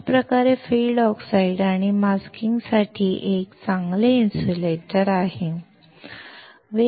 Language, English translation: Marathi, Thus, it is a good insulator for field oxides and masking